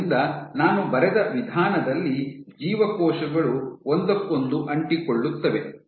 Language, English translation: Kannada, So, the way I have drawn this that cells are sticking to each other